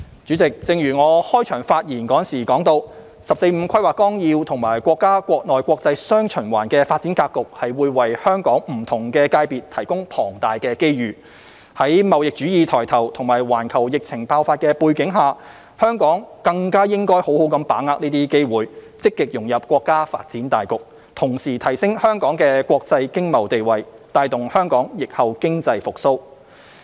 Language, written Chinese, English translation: Cantonese, 主席，正如我在開場發言提到，《十四五規劃綱要》及國家國內國際"雙循環"的發展格局會為香港不同界別提供龐大的機遇，在貿易主義抬頭及環球疫情爆發的背景下，香港更加應該好好把握這些機會，積極融入國家發展大局，同時提升香港的國際經貿地位，帶動香港疫後經濟復蘇。, President as I mentioned in the opening remarks the Outline of the 14th Five - Year Plan and our countrys development pattern of domestic and international dual circulation will bring immense opportunities to various sectors of Hong Kong . Amid the emergence of protectionism and the outbreak of the pandemic Hong Kong should seize these opportunities to actively integrate into the overall development of the country and enhance Hong Kongs international economic and trade status thereby promoting the post - pandemic economic recovery of Hong Kong . The SAR Government will actively complement the development blueprint outlined in the National 14th Five - Year Plan